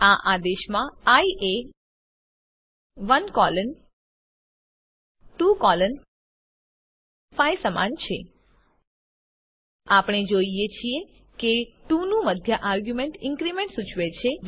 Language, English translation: Gujarati, In this command, i is equal to 1 colon 2 colon 5, We see that the middle argument of 2 indicates the increment